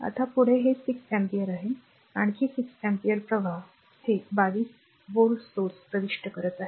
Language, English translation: Marathi, Now, next is this 6 ampere, another 6 ampere current entering into this 22 volt source